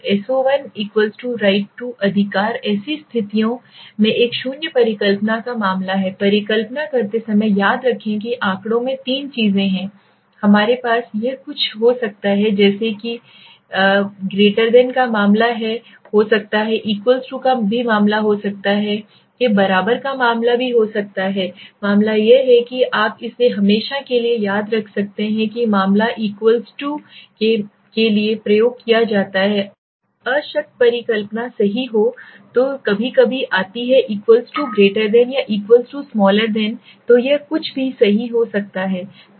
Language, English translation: Hindi, So 1 = 2 right is a case of a null hypothesis in such situations remember while doing a hypothesis there are 3 things in statistics we have it can be something like there can be case of >, there can be a case of = , there can be case of < right the equal to case is that case you can remember it forever that = to the case is the case which is used for the null hypothesis right then comes sometimes it could be = > or = < so it could be anything right